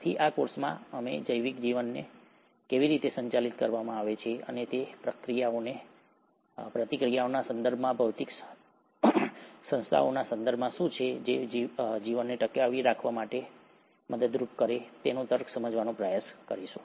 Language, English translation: Gujarati, Hence, in this course, we’ll try to understand the logics of how a biological life is governed, and what is it in terms of reactions, in terms of physical entities, which help a life to survive and sustain